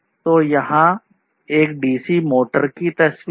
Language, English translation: Hindi, So, here is the picture of a dc motor